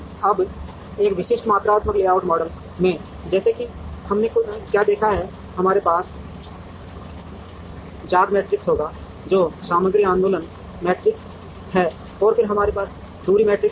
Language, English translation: Hindi, Now, in a in a typical quantitative layout model, such as what we have seen, we will have a w matrix, which is the material movement matrix and then, we will have distance matrix